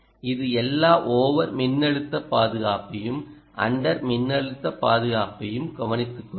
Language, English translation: Tamil, this will take care of all the over voltage and under voltage protection ah which will ensure it